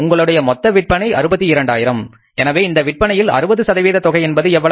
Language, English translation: Tamil, Your total sales are 62,000s and 60% of current month sales are how much